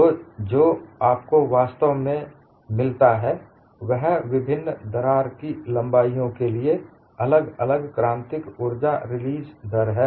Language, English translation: Hindi, So, what you eventually get is different critical energy release rates for different initial crack lengths